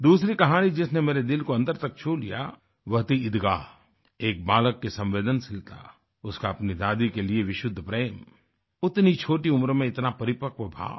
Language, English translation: Hindi, The other story that touched the core of my heart was 'Eidgah'… the sensitivity of a young lad, his unsullied love for his grandmother, such maturity at that early age